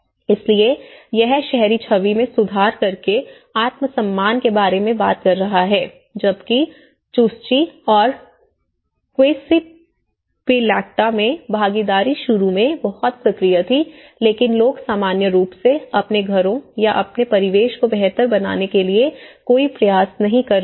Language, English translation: Hindi, So, that is talking about the self esteem by improving an urban image whereas in Chuschi and Quispillacta, participation was very active initially but the people, in general, are not making any effort to improve their homes or their surroundings